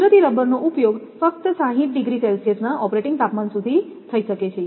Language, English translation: Gujarati, Natural rubber can be used only up to an operating temperature of 60 degree Celsius